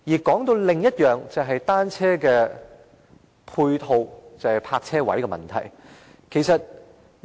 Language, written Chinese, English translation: Cantonese, 談到另一點，就是單車泊車位等配套問題。, I now come to another point on ancillary facilities for bicycles that is bicycle parking spaces